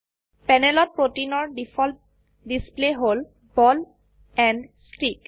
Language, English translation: Assamese, The default display of the protein on the panel, is ball and stick